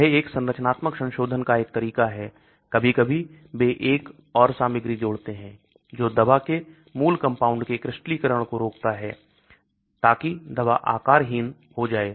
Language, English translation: Hindi, This is one way of structural modification; sometimes they add another material which prevents the crystallization of the parent compound of the drug so that the drug becomes amorphous